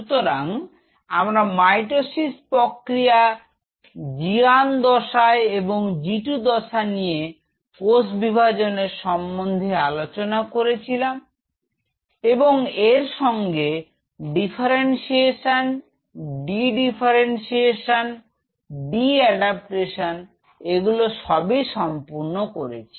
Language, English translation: Bengali, So, we will be having mitosis phase G 1 phase synthesis phase G 2 phase and talked about cell division then we talked about differentiation then dedifferentiation and de adaptation; this is what we have already covered